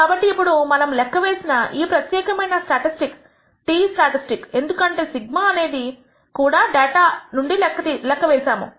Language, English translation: Telugu, So, now, we can show that this particular statistic we have computed is t statistic because sigma is also estimated from the data